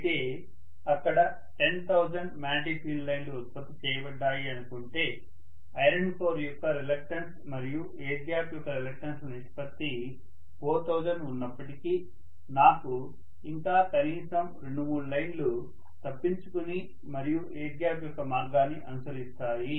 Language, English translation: Telugu, That is my assumption but if let us say there are some 10,000 magnetic field lines that have been produced, although the ratio of the air gap reluctance to the reluctance of the iron core is about 4000, I will still have maybe 2 3 lines at least escaping and following the path of air gap